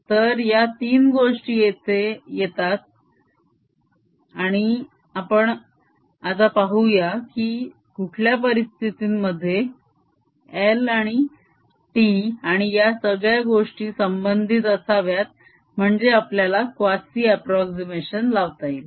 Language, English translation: Marathi, so these three things are there and let us see under what circumstances how should l and tau or all this thing should be related so that we can apply this quazi static approximation